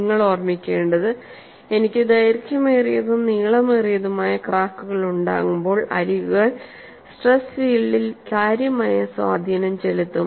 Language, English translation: Malayalam, And what you have to keep in mind is, when I have longer and longer cracks, the edges will have a considerable influence on the stress field; So, the solution need to be improved further